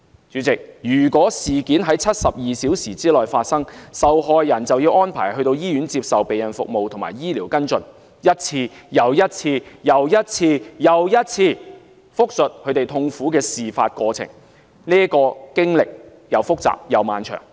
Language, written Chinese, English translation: Cantonese, 主席，如果事件在72小時內發生，受害人便會被安排到醫院接受避孕服務和醫療跟進，一次又一次地複述她們痛苦的事發過程，這經歷既複雜又漫長。, President if the incident takes place within 72 hours the victim will be arranged to receive post - contraception treatment and medical follow - up in the hospital . They have to give an account of the ordeal again and again . It is a complicated and long torment